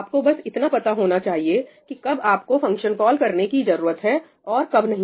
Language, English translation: Hindi, You should just know when you need a function call, when you do not